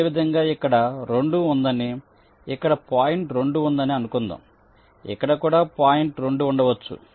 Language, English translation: Telugu, similarly, lets say there is a point two here, there is a point two here may be there is a point two here